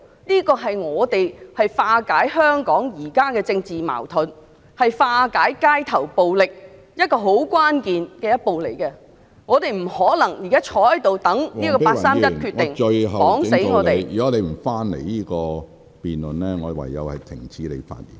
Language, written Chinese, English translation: Cantonese, 這是政府化解香港現時的政治矛盾、化解街頭暴力至為關鍵的一步，政府不可能坐在這裏等待，讓這個八三一決定牢牢捆綁香港......, This is a critical step if the Government hopes to resolve the present political conflicts and street violence in Hong Kong . The Government cannot possibly sit and wait here and let this 31 August Decision bind Hong Kong tightly